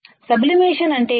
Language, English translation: Telugu, What is sublimation